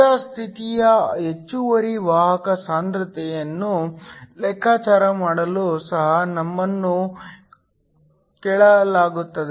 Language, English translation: Kannada, We are also asked to calculate the steady state excess carrier concentration